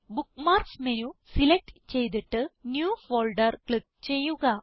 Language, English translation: Malayalam, * Select Bookmarks menu and click on New Folder